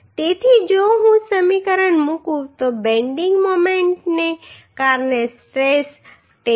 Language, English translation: Gujarati, So if I put this equation so stress due to bending moment will be 10